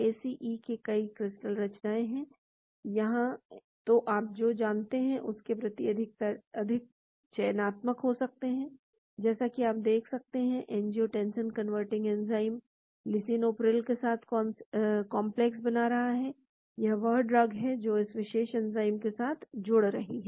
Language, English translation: Hindi, Many, many, crystal structures of ACE here, so you can be more selective towards what you want to have, as you can see; angiotensin converting enzyme in complex with lisinopril, this is the drug which is binding to this particular enzyme